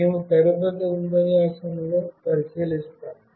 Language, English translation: Telugu, We will look into that in the next lecture